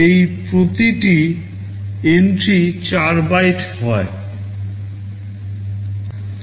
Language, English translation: Bengali, Each of these entries is 4 bytes